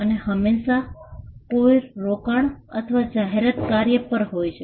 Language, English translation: Gujarati, And always there is also an investment or an advertising function